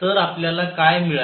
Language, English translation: Marathi, So, what have we got